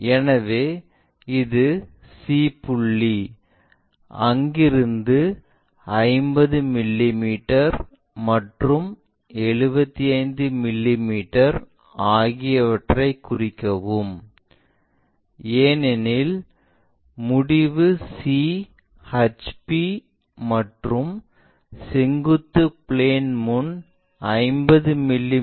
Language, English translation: Tamil, So, this is the c point locate 50 mm cut and also 75 mm cut, because end C is in HP and 50 mm in front of vertical plane, I am sorry